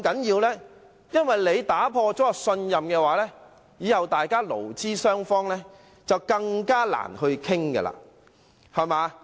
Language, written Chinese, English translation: Cantonese, 因為如果打破信任，勞資雙方日後便更難商討。, The reason is that if there is no trust it will be even more difficult for employers and employees to negotiate in the future